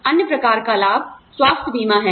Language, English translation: Hindi, The other type of benefit is health insurance